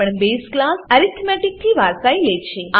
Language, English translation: Gujarati, This inherits the base class arithmetic